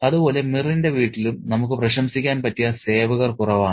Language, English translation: Malayalam, Equally, we have less admirable servants in Mir's home as well